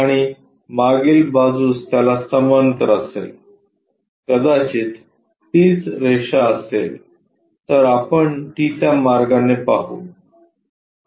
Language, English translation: Marathi, And the back side parallel to that perhaps if that is the line again we will see it in that way